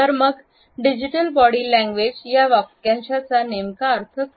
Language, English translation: Marathi, So, what exactly the phrase digital body language refers to